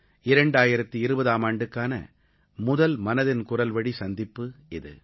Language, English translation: Tamil, This is our first meeting of minds in the year 2020, through 'Mann Ki Baat'